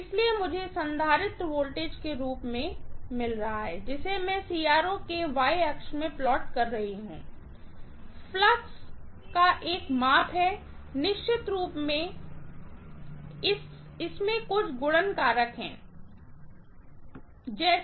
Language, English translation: Hindi, So, what I am getting as the capacitor voltage, which I am plotting in the Y axis of the CRO is a measure of flux, of course it has some multiplication factor like 1 by Rc, whatever